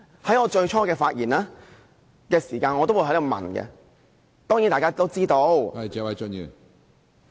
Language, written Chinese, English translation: Cantonese, 在我最初發言時我提出問題，當然，大家也知道......, I pointed out the problem at the beginning of my speech . Of course as Members know